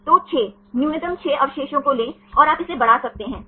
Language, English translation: Hindi, So, take the 6, minimum 6 residues and you can extend it